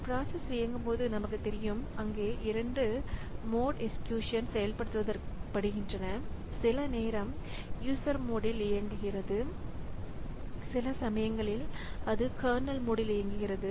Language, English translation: Tamil, Now, we also know that when a process is executing, so there are two modes of execution for some time it executes in the user mode and sometimes it executes in the kernel mode